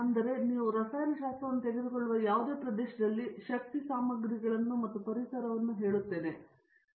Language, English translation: Kannada, So, therefore, any any area if you take today chemistry is I will say energy materials and environment